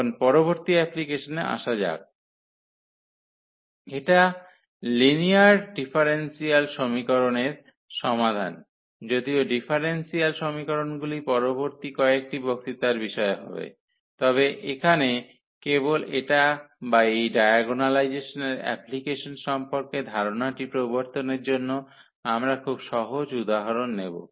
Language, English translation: Bengali, Now, coming to the next application which is the solution of the system of linear differential equations though the differential equations will be the topic of the next few lectures, but here just to introduce the idea of this or the application of this diagonalization